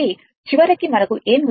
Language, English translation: Telugu, So, ultimately, what we got